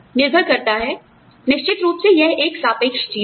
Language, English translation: Hindi, Depending, of course, you know, this is a relative thing